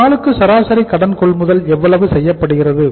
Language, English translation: Tamil, How much is average credit purchased per day